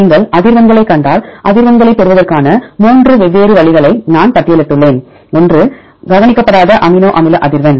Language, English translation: Tamil, If you see the frequencies, I have listed the three different ways to get the frequencies, one is unweighted amino acid frequency